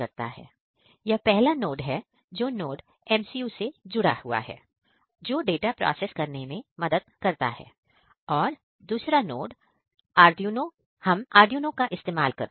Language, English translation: Hindi, In first node, here is first node which contained the NodeMCU which are used for processing of data a second and second; in second node we use the Arduino